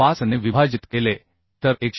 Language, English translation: Marathi, 25 then it will be 101